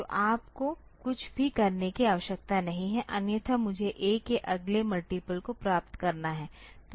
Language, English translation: Hindi, So, you do not need to do anything otherwise I have to get the next multiple of A